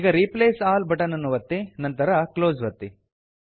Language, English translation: Kannada, Now click on Replace All and click on Close